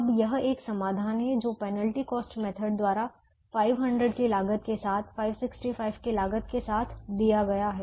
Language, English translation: Hindi, this is a solution that has been given by the penalty cost method, with the cost of five hundred and with the cost of five hundred and sixty five